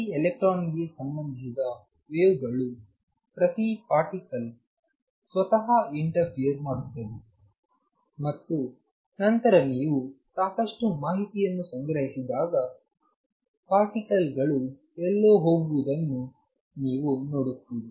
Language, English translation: Kannada, Wave associated with each electron each particle interferes with itself and then when you collect a lot of data you see the pattern emerging the particles going somewhere